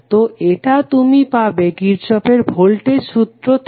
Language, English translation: Bengali, So, this is what you got from the Kirchhoff Voltage Law